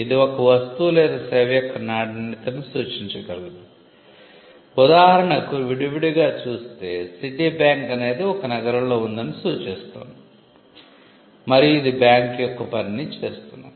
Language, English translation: Telugu, It can suggest the quality of a good or a service; for instance, Citibank it suggests that it is city based it is based in a city and it does the function of a bank